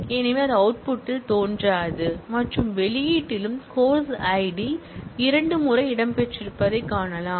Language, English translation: Tamil, So, that also will not appear in the output and also in the output you find that the course id has actually featured twice